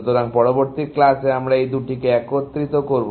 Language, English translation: Bengali, So, in the next class, we will combine these two together